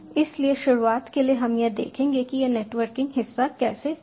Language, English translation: Hindi, so for starters will just see how this networking part happens